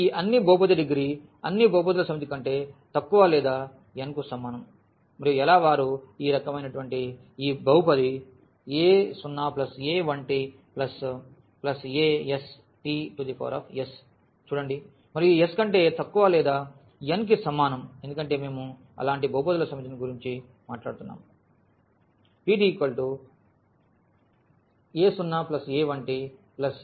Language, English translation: Telugu, So, all polynomial this is a set of all polynomials of degree less than or equal to n and how these polynomials look like they are of this kind a 0 plus a 1 t plus a 2 t plus and so on a s t power s and this s is less than or equal to n because we are talking about the set of all such polynomials